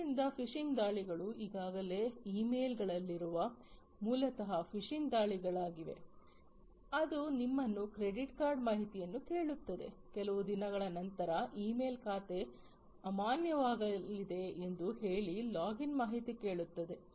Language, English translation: Kannada, So, phishing attacks, those of you who are already in the emails, you know, that many emails you get which are basically phishing attacks which will ask you for credit card information, the login information saying that the email account is going to be invalid after a few days, and so on